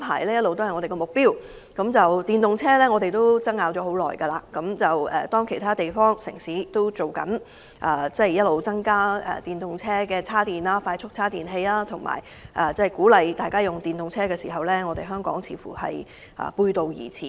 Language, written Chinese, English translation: Cantonese, 在推動使用電動車方面，我們爭拗了很長時間，當其他城市正在增設電動車快速充電器及鼓勵人們使用電動車之際，香港卻似乎背道而馳。, We have been debating on the promotion of electric vehicles for a long time . When more quick chargers for electric vehicles are provided in other cities to encourage the use of electric vehicles but Hong Kong seems to be running contrary to this trend